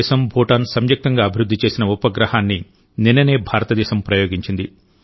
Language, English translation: Telugu, Just yesterday, India launched a satellite, which has been jointly developed by India and Bhutan